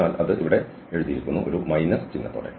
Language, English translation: Malayalam, So that is written here 0 to 1 with the minus sign